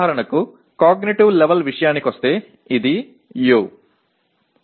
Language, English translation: Telugu, Coming to cognitive level for example this is U